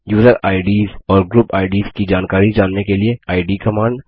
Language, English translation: Hindi, id command to know the information about user ids and group ids